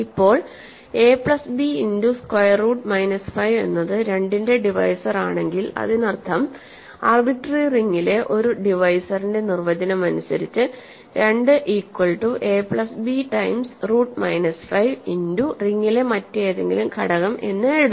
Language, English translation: Malayalam, So, now if a plus b times minus square root minus 5 is a divisor of 2 that means, by definition of a divisor in an arbitrary ring, 2 can be written as a plus b times root minus 5 times some other element in the ring